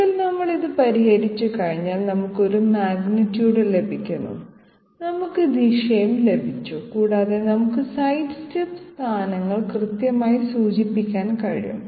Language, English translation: Malayalam, Once we solve this, we get a magnitude we have also got the direction and we can pinpoint the sidestep positions